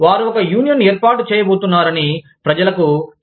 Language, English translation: Telugu, They tell people, that we are going to form a union